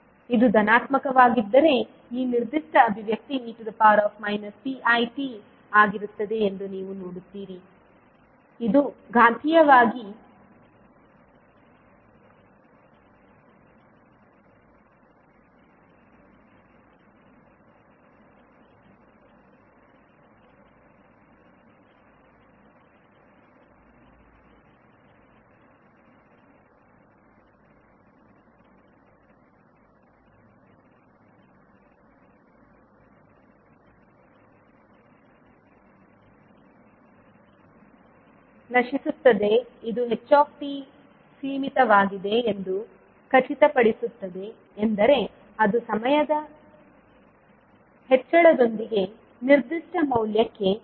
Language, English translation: Kannada, so what does it mean then you will see that if this is positive, this particular expression will be e to the power minus p one t, which would be exponentially decaying which makes sure that the h t is bounded means it is conversing to a particular value with the increase in time t